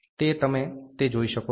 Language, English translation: Gujarati, So, you can see that